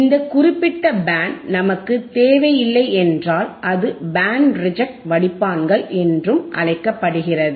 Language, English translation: Tamil, thisIf this particular band we do not require, Reject; that means, it is also called Band Reject Filters all right got it